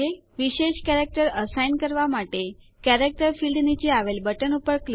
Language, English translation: Gujarati, To assign a special character, click on the button below the character field